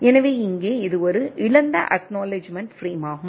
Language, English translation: Tamil, So here, it is a lost acknowledgement frame